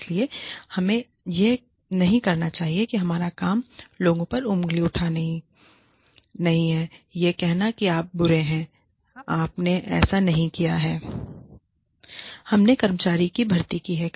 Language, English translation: Hindi, So, we should not, our job is not to point fingers at people, and say, you are bad, you have done this, you have not done this, we are going to throw you out